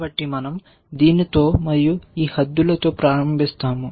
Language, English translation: Telugu, So, we start with this and this bounds